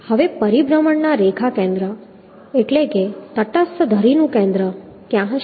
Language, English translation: Gujarati, Now, where will be the center of line, center of rotation